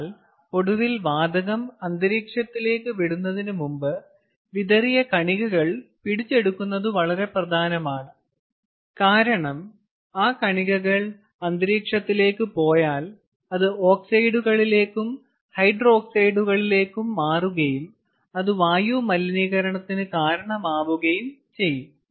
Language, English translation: Malayalam, but finally, before release to the atmosphere, it is extremely important that the seed particles are captured, because the seed particles are going to be the, especially if it goes to the atmosphere, it is going to convert to oxides and hydroxides and which can cause severe air pollution